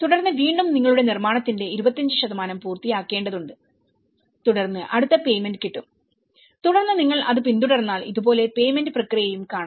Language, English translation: Malayalam, Then, you again you need to finish 25% of your construction then get the payment next then you followed upon so in that way they are able to look at the payment process also